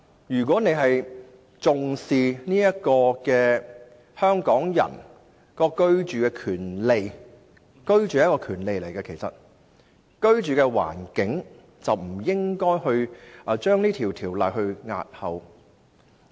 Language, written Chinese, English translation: Cantonese, 如果她重視香港人的居住權利——居住也是一種權利——便不應該將《條例草案》押後。, If she really cares about Hong Kong peoples right to housing―housing is also a kind of right―she should not postpone the Bill